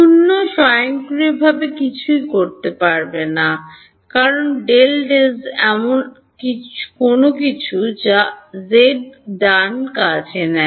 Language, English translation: Bengali, 0 automatically nothing has to be done, because is del by del z of something which is not a function of z right